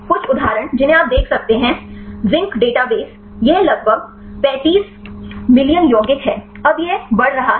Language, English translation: Hindi, Some of the examples you can see Zinc database it is about 35 million compounds, now it is growing right